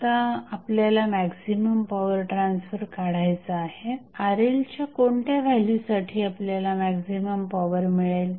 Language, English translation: Marathi, Now, we have to find the maximum power transfer at what value of Rl we get the maximum power transfer